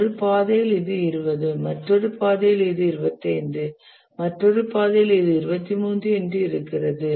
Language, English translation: Tamil, Along one path it may be let say, 20, another path may be 25, another path may be 23